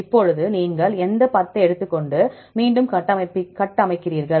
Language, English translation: Tamil, Now from the pool you take any 10 and then again you construct